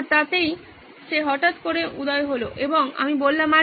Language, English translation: Bengali, So that suddenly popped up and I said, Hey